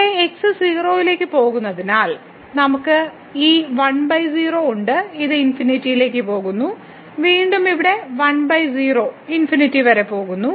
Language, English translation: Malayalam, So, here since goes to 0 so, we have this 1 over 0 this which is which is going to infinity and minus again here 1 by 0 it is also going to infinity